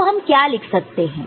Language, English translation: Hindi, So, how what you can write now